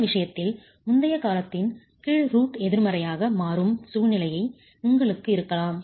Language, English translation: Tamil, And in this case, you might have a situation where the previous term, the under root in the previous term, can become negative